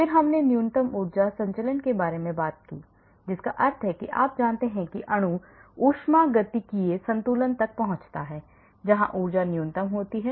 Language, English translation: Hindi, then we talked about minimum energy conformation that means as you know molecule reaches the thermodynamic equilibrium where the energy is minimum